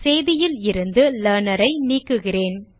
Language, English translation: Tamil, Im removing the Learner from the message